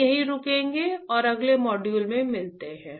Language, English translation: Hindi, Let us stop here and let us meet in the next module